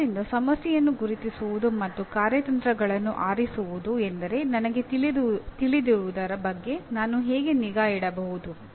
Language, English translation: Kannada, So identifying the problem and choosing strategies would mean how can I keep track of what I know